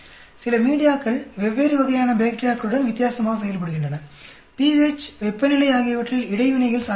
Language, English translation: Tamil, Some media works differently with different types of bacteria, pH temperature where interactions are possible and so on actually